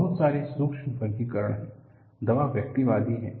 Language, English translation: Hindi, There are so many subtle classifications; the medicine is individualistic